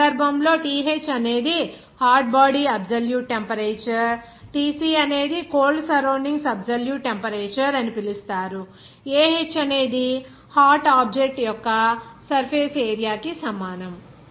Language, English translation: Telugu, In this case, Th is hot body absolute temperature and Tc is called cold surroundings absolute temperature and will be is equal to surface area of the hot object